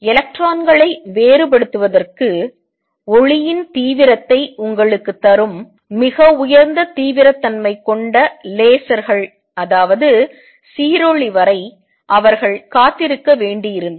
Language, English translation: Tamil, They had to wait till very high intensity lasers who were invented that give you intensity of light to diffract electrons